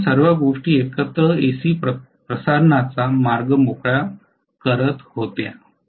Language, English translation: Marathi, So all those things were you know paving the way for AC transmission all of them together, yes